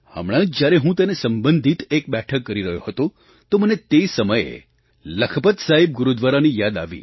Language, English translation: Gujarati, Recently, while holding a meeting in this regard I remembered about of Lakhpat Saheb Gurudwara